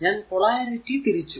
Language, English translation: Malayalam, So, I have reverse the polarity